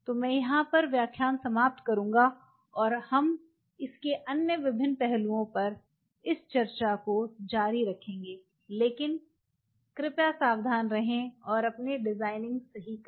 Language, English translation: Hindi, So, I will close in here and we will continue this discussion on other different aspects of it, but please be careful and do your designing right